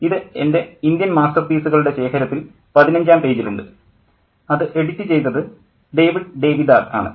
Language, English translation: Malayalam, It's on page 15 in my collection of Indian masterpieces, and this has been edited by David Davidar